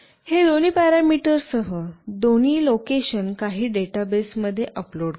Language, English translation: Marathi, And it will upload both the location along with these other parameters into some database